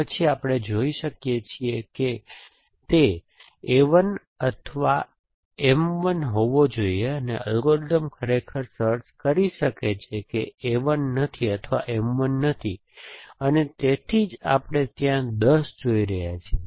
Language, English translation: Gujarati, Then we can see it must be A 1 or M 1 and the algorithm actually find that essentially that either A 1 is not or M 1 is not and that is why we are seeing 10 there